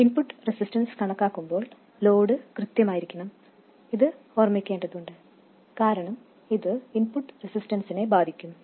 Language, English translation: Malayalam, It is important to remember that while calculating the input resistance, the load must be in place because this can affect the input resistance